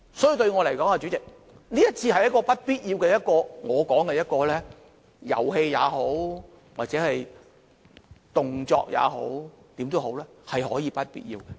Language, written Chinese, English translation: Cantonese, 所以，代理主席，對我來說，這次是不必要的——我會這樣說——是遊戲也好，是動作也好，無論怎樣，也是不必要的。, For that reason Deputy President I consider the motion this time around is unnecessary . I will put it in this way No matter it is a game or a gesture in any case it is unnecessary